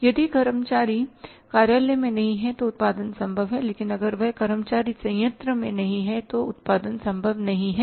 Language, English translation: Hindi, If the employee is not in the office the production is possible but if that worker is not there on the plant production is not possible